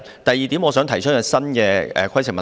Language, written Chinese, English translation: Cantonese, 第二，我想提出一項新的規程問題。, Secondly I would like to raise a new point of order